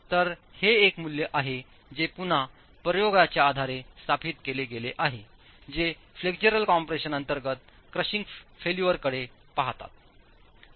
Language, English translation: Marathi, So this is a value that's again established based on experiments that look at crushing failure under flexual compression